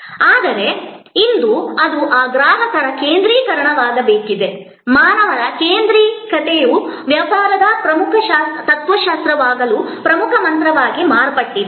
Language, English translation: Kannada, But, today that is not a say so, today it has to become this customer's centricity, humans centricity as to become the key mantra, as to become the core philosophy of business